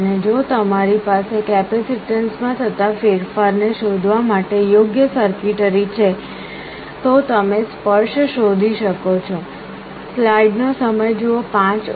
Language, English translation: Gujarati, And if you have an appropriate circuitry to detect the change in capacitance, you can detect the touch